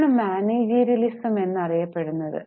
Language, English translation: Malayalam, There was what is known as managerialism